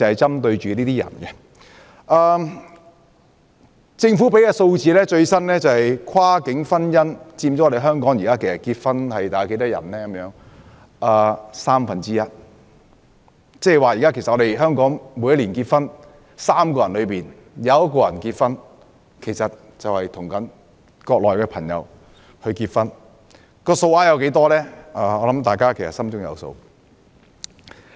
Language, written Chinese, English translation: Cantonese, 根據政府提供的最新數字，跨境婚姻佔港人結婚數目約三分之一，即現時香港每年的結婚宗數每3個人便有1個是與國內人結婚，至於數目多少，我相信大家心中有數。, According to the latest data of the Government cross - boundary marriages account for one third of the marriages in Hong Kong . In other words among the marriages in Hong Kong each year one in every three marriages is between a Hong Kong resident and a Mainland resident . I believe Members can roughly get the number in their heart